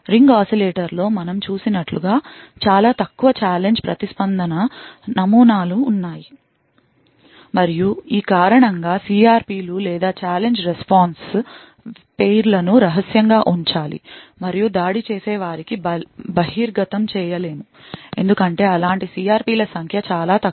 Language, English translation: Telugu, There are comparatively few challenge response patterns as we have seen in the ring oscillator and because of this reason the CRPs or the Challenge Response Pairs have to be kept secret and cannot be exposed to the attacker because the number of such CRPs are very less